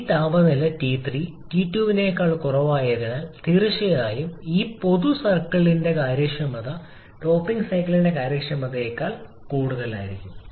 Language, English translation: Malayalam, And as this temperature T3 is lower than T2 so definitely efficiency of this common circle will be higher than the efficiency of the topping cycle